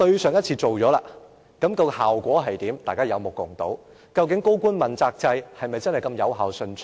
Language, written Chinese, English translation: Cantonese, 上次提出過，效果如何，大家有目共睹，究竟高官問責制是否那麼有效順暢？, Such a motion was moved at that time and the effectiveness of the policy has been evident to all . Has the functioning of the accountability system been effective at all?